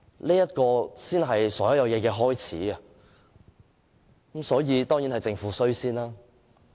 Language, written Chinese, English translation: Cantonese, 這才是所有問題的開始，所以，首先當然是政府的錯。, This is where all the problems began and so it was certainly the Governments fault